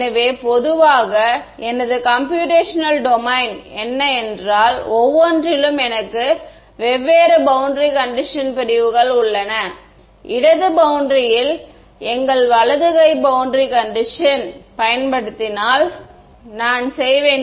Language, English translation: Tamil, So, in general if my computational domain is something like this, I have different boundary conditions on each of these segments, if I use our right handed boundary condition on the left boundary, I will it is, I will not get even 0 reflection at theta is equal to 0